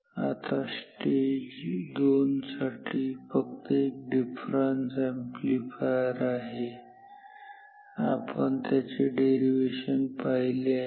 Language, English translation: Marathi, Now, for stage 2 this is just a difference amplifier and we have done the derivation for it in a lot detail